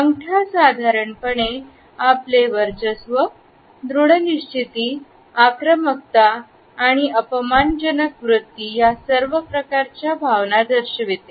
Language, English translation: Marathi, Thumbs in general display our sense of dominance and assertiveness and sometimes aggressive and insulting attitudes